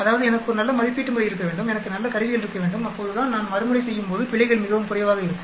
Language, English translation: Tamil, That means I should have a good assay method, I should have good instruments so that the errors when I repeat are much, much less